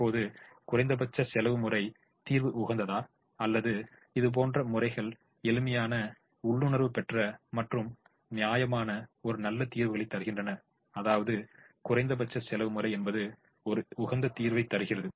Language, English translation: Tamil, now is the minimum cost method solution optimal or are there methods such as these which are reasonably simple, reasonably intuitive and reasonably simple and gives good solutions